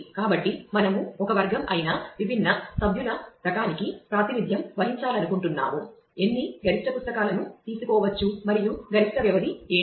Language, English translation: Telugu, So, we would like to represent that for different member type which is a category; how many number of maximum books can be taken and what could be the maximum duration